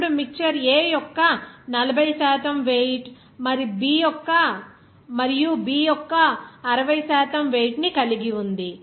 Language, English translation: Telugu, Now, the mixer contains 40 weight percent of A and 60 weight percentage of B